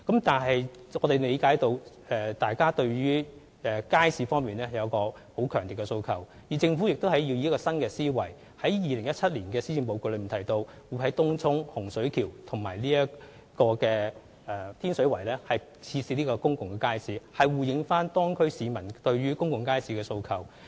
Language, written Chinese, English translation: Cantonese, 但是，我們理解市民對街市有強烈訴求，政府亦以新思維，在2017年施政報告中提到，會在東涌、洪水橋和天水圍設置公共街市，以回應當區市民對公共街市的訴求。, Nevertheless we understand the strong demands of the public regarding the market . The Government also adopted a new mindset and announced in the Policy Address in 2017 that public markets would be built in Tung Chung Hung Shui Kiu and Tin Shui Wai in response to the demands of local residents